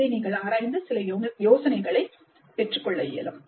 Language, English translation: Tamil, You can examine this for some of these ideas